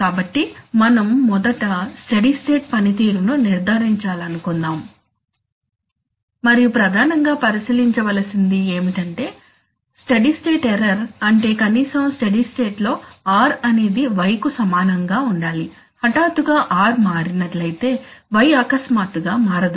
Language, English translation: Telugu, And the major consideration for that is steady state error that is we want that r should be equal to Y, at least in the steady state obviously if r suddenly changes y cannot suddenly change